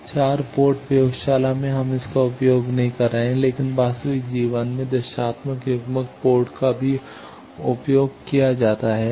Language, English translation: Hindi, 4 port in this one in laboratory we do not use it, but in actual life the directional coupler port is also used